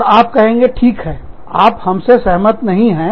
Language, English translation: Hindi, And, you will say, okay, you do not agree with us